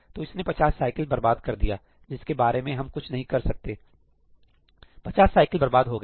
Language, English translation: Hindi, So, it has wasted 50 cycles here, which we could not do anything about, but this 50 cycles; it has wasted